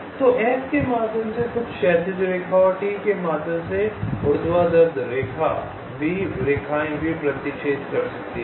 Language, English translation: Hindi, so, assuming no obstacles, a vertical line through s and a horizontal line through t will intersect, and vice versa